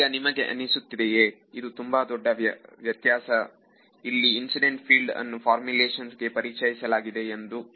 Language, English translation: Kannada, So, do you think that this is the big difference or a significant difference where the incident field is being introduced into the formulation